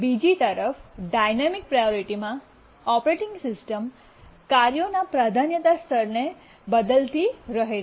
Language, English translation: Gujarati, On the other hand in a dynamic priority, the operating system keeps on changing the priority level of tasks